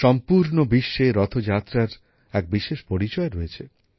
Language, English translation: Bengali, Rath Yatra bears a unique identity through out the world